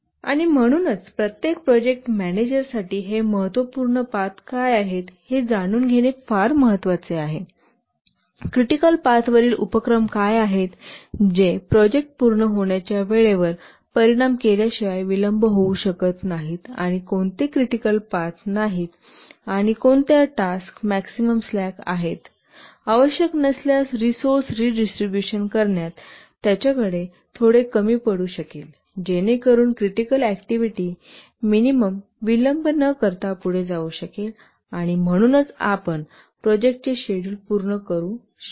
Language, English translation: Marathi, And therefore for every project manager it is very important to know what are the critical paths, what are the activities on the critical path which cannot get delayed without affecting the project completion time, and what are the non critical paths and which tasks have the maximum slack so that he can have little leeway in redistributing the resources if required so that the critical activities at least proceed without delay and therefore you can meet the project schedule